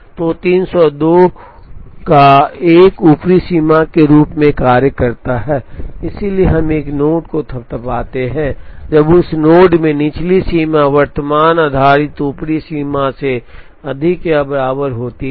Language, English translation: Hindi, So, 302 acts as an upper bound, so we fathom a node when the lower bound in that node is greater than or equal to current based upper bound